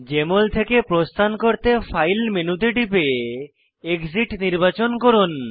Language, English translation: Bengali, To exit Jmol, click on the File menu and select Exit option, to exit the program